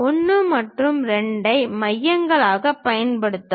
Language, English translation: Tamil, Use 1 and 2 as centers